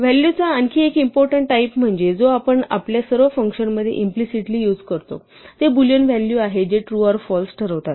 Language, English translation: Marathi, Another important class of values that we use implicitly in all our functions are Boolean values which designate truth or falseness